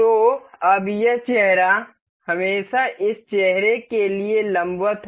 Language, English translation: Hindi, So, now, this this face is always perpendicular to this face